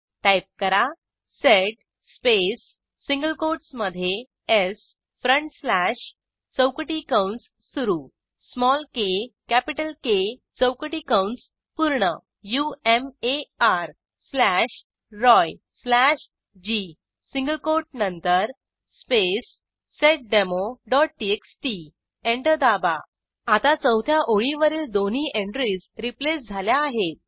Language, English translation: Marathi, Type: sed space within single quotes s front slash opening square bracket small k capital K closing square bracket umar slash Roy slash g after the single quote space seddemo.txt Press Enter Now, both entries of the fourth line are replaced